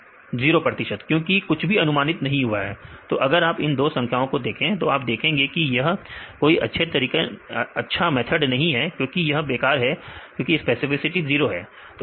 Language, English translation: Hindi, 0 percent because nothing is predicted; so, if we see these two numbers, then you can see that these are not only good methods because it is completely useless method because specificity is 0